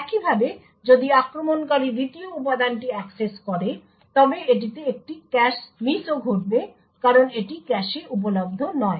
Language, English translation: Bengali, Similarly if the attacker accesses the second element it would also result in a cache miss because it is not available in the cache